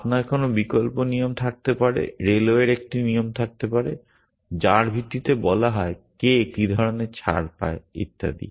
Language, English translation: Bengali, Alternatively you might have a rule, the railways might have a rule based which says who gets what kind of concession and so on so